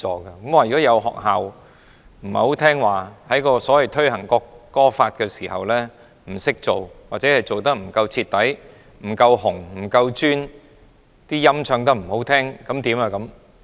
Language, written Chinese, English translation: Cantonese, 如果有學校不聽話，在推行《國歌法》的時候做得不夠好，不夠徹底、不夠'紅'、不夠'尊'，唱得不好，怎麼辦呢？, Should any school be not submissive to the extent that it is not good thorough red and respectful enough when implementing the National Anthem Law and the singing is not good as well what should we do?